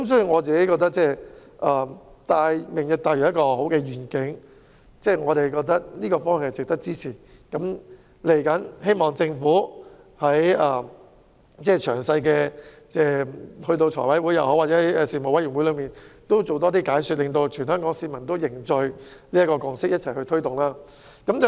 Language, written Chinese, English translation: Cantonese, 我認為"明日大嶼"是很好的願景，值得支持，所以希望政府能夠在日後的財務委員會或相關事務委員會的會議上多作解說，讓全港市民凝聚填海的共識，一起推動"明日大嶼"。, I think the vision of Lantau Tomorrow is desirable and worthy of support . Hence I hope the Government can give further explanation at the future meetings of the Finance Committee or of the relevant panels so as to foster public consensus on reclamation and promote Lantau Tomorrow jointly